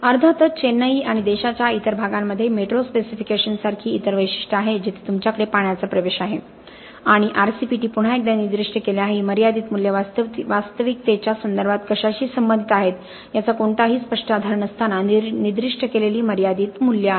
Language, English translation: Marathi, There are of course other specifications like metro specifications in Chennai and other parts of the country where you have water penetration and RCPT specified once again, there are limiting values specified without really any clear basis for what these limiting values pertain to in terms of the actual performance of the structure